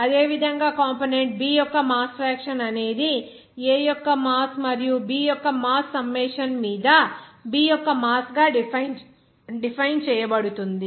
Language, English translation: Telugu, Similarly, mass fraction of component B will be defined as here mass of B upon summation of mass of A and mass of B